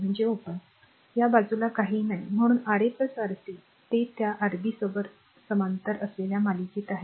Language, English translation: Marathi, So, this side nothing is there right and so, Ra plus Rc they are in series along with that Rb in parallel